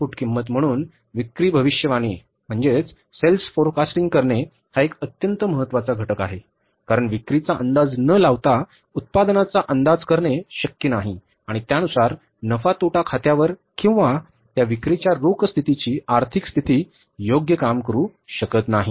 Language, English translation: Marathi, So, sale forecasting is a very, very important component because without sales forecasting means production is not possible to be estimated and accordingly the impact of that sales on the profit and loss account or maybe the financial position or the cash position of the firm cannot be worked out